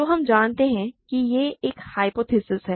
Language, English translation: Hindi, So, we know that this is a hypothesis right